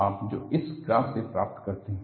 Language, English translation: Hindi, That you get from a graph like this